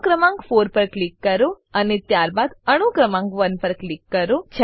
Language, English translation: Gujarati, Click on the atom number 4, and then on atom number 1